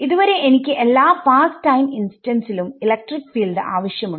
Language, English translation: Malayalam, So, far I still need electric field at all past time instants